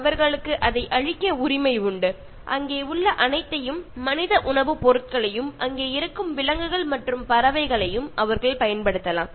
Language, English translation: Tamil, And they have the right to destroy and they can utilize whatever is there, the human food items, as well as the animals and birds which are also there